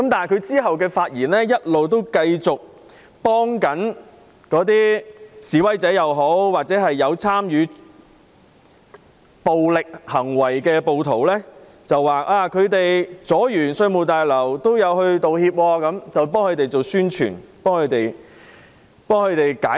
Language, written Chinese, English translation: Cantonese, 他之後的發言一直繼續維護示威者或有參與暴力行為的暴徒，指他們妨礙市民進出稅務大樓之後也有道歉，還為他們宣傳、為他們解難。, Then he continued to defend the protesters and the violent acts of rioters . He said that protesters apologized for obstructing members of the public from entering and leaving the Revenue Tower . He even publicized the acts of protesters and defended them